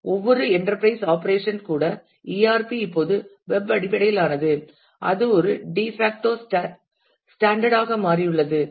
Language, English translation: Tamil, And every even every enterprise operations the ERP are now web based and that is become a de facto standard